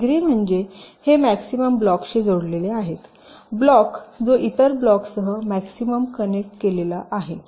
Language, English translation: Marathi, degree means it is connected to maximum other blocks, the block which is maximally connected to other blocks